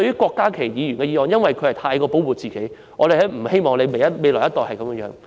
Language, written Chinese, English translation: Cantonese, 郭家麒議員的修正案過分保護下一代，我們不希望下一代受到過分保護。, Dr KWOK Ka - kis amendment overprotects the younger generation but we do not want the younger generation to be overprotected